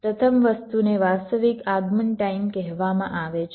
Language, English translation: Gujarati, first thing is called the actual arrival time